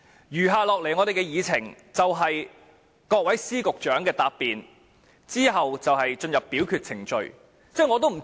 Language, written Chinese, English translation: Cantonese, 餘下的會議程序是各位司局長的答辯，之後就會進行表決。, As for the remaining procedure of the meeting the Secretary of Department and Directors of Bureaux will respond after which the motion will be put to vote